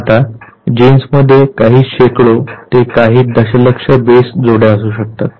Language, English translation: Marathi, Now, a gene might have a few hundred to over a million base pairs